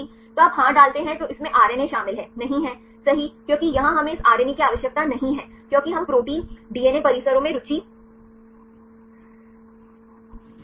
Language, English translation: Hindi, So, you put yes then it contains RNA no right because here we do not need this RNA, because we are interested in protein DNA complexes